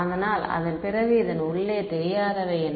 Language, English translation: Tamil, So, then what are the unknowns inside this